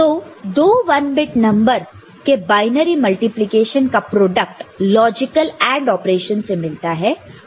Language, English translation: Hindi, So, product from binary multiplication of two 1 bit number is obtained from logical AND operation of the numbers